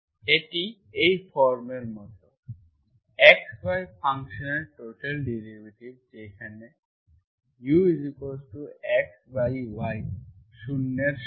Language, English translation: Bengali, It is like in this form, total derivative of function of x, y where u is x by y is equal to 0